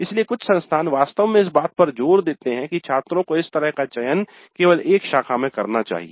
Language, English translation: Hindi, So some institutes actually insist that students must selectives like this in a stream only